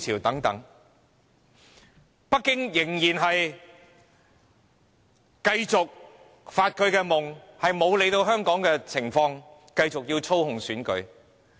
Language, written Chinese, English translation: Cantonese, 不過，北京仍繼續發夢，不理會香港情況而繼續操控選舉。, Despite that Beijing is still dreaming . It disregards the situation of Hong Kong and continues to manipulate our elections